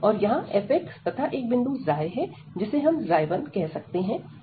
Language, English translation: Hindi, And f x and some point here psi, which we are calling here psi 1